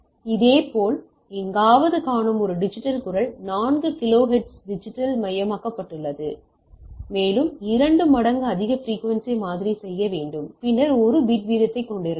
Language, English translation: Tamil, Similarly, a digitized voice as we see in somewhere it is digitized at a 4 kilohertz and we need to sample the twice the highest frequency then we can have a bit rate